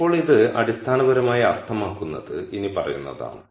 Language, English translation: Malayalam, Now what this basically means is the following